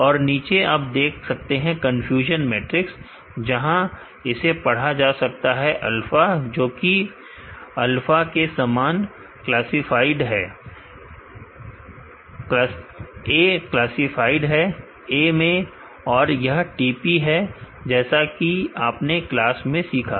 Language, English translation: Hindi, And below you could see the confusion matrix, where it should be read as alpha classified as alpha, a classified as a classified as b